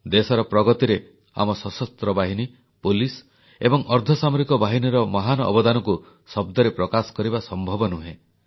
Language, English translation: Odia, One falls short of words in assessing the enormous contribution of our Armed Forces, Police and Para Military Forces in the strides of progress achieved by the country